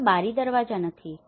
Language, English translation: Gujarati, There is no windows, there is no doors nothing